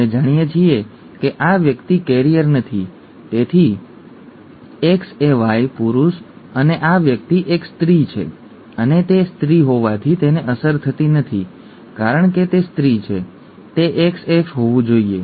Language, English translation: Gujarati, We know that this person is not a carrier therefore X capital AY, male and the this person is a female and not affected since it is a female it has to be XX